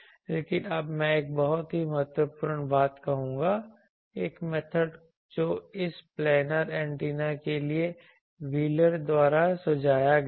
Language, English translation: Hindi, But now I will say a very important a think method that was suggested by wheeler for this planar antennas